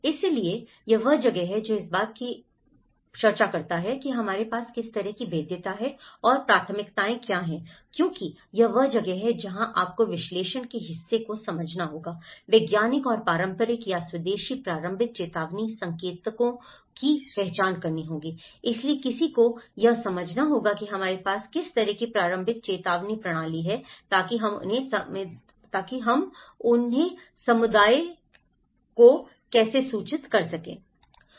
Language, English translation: Hindi, So, this is where, he talks about the what kind of degree of vulnerability we do have and what is the priorities because this is where you one has to understand the analysis part of it, identify the scientific and traditional or indigenous early warning indicators, so one has to understand that what kind of early warning systems we have, so that how we can inform these to the community